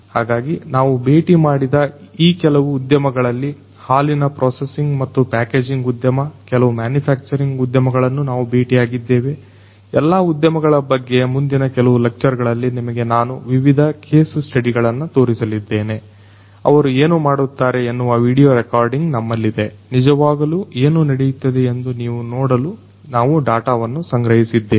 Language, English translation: Kannada, So, some of these industries that we have visited are the milk processing and packaging industry, we have visited some manufacturing industries different case studies I am going to show you in the next few lectures about all these industries, what they are doing we have video recorded, we have collected these data for you so that you can see live what is going on